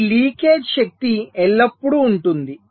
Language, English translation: Telugu, ok, so this leakage power will always be there